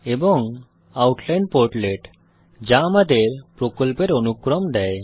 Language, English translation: Bengali, And the Outline portlet which gives us hierarchy of the project